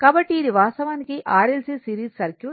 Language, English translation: Telugu, So, this is actually series R L C circuit series RC circuit